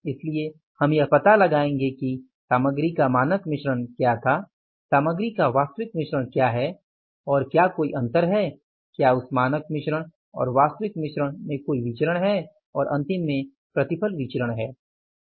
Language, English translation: Hindi, So, we will find it out what was the standard mix of the material, what is the actual mix of the material and is there any difference, is there any variance in that standard mix and the actual mix